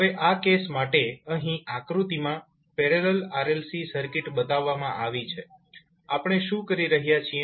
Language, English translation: Gujarati, Now in this case suppose the parallel RLC circuit is shown is in this figure here, what we are doing